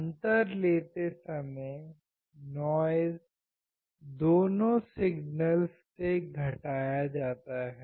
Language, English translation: Hindi, While taking the difference, noise is subtracted from both the signals